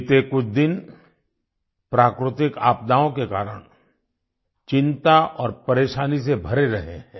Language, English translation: Hindi, The past few days have been full of anxiety and hardships on account of natural calamities